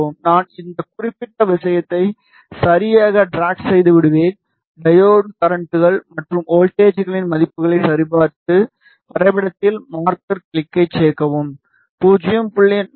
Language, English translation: Tamil, I will just drag this particular thing right and I check the values of diode currents and voltages right click, add marker click on the graph and you see that 0